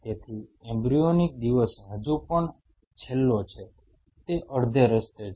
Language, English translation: Gujarati, So, embryonic day last still so, is halfway through